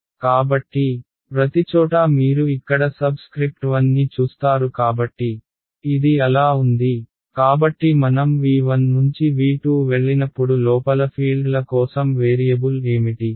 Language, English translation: Telugu, So, far everywhere you see the subscript 1 over here so, this was so, so V 1 when we go to V 2 remember what was a variable for the fields inside V 2